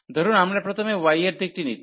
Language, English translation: Bengali, So, suppose we are taking the direction of y first